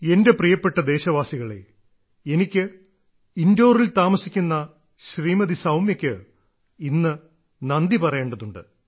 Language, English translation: Malayalam, My dear countrymen, today I have to thank Soumya ji who lives in Indore